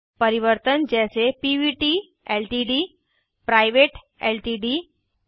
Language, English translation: Hindi, Variations like Pvt Ltd, Private Ltd, P, P